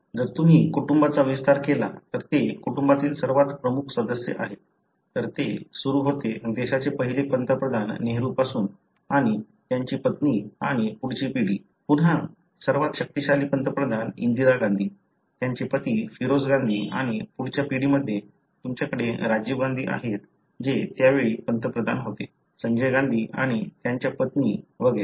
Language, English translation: Marathi, If you expand the family they are, these are the very prominent members of the family; starts from the first Prime Minister of the country, Nehru and his wife and next generation, again the most powerful Prime Minister Indira Gandhi, her husband Feroze Gandhi and in the next generation of course you have Rajiv Gandhi who was then a Prime Minister, Sanjay Gandhi and his wife and so on